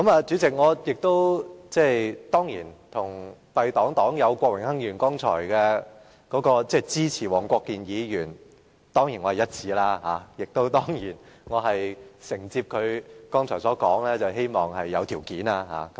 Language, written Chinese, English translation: Cantonese, 主席，敝黨黨友郭榮鏗議員剛才表示支持黃國健議員動議的中止待續議案，我與他意向一致，我亦承接他剛才所說，希望有條件支持黃議員的議案。, President Mr Dennis KWOK a colleague from my political party said he would support the adjournment motion moved by Mr WONG Kwok - kin . As we both have the same intent I will pick up from where he stopped just now and I also wish to support Mr WONGs motion conditionally